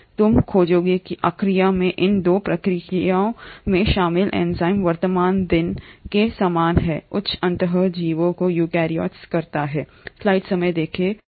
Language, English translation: Hindi, You find that the enzymes involved in these 2 processes in Archaea are very similar to the present day eukaryotes the higher end organisms